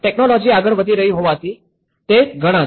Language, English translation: Gujarati, There is many because the technology is moving